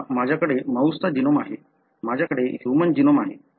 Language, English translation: Marathi, Now I have the mouse genome, I have human genome